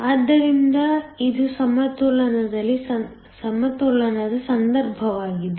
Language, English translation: Kannada, So, this is in the case of equilibrium